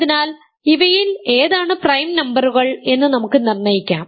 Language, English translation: Malayalam, So, let us determine which of these are prime numbers